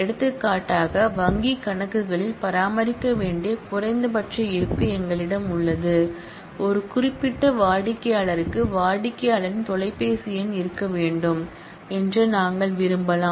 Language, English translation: Tamil, For example, in bank accounts, we have a minimum balance that need to be maintained, for a particular customer we might want that the customer’s phone number must be present